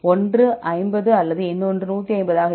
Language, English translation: Tamil, Even if one is 50 or another one is 150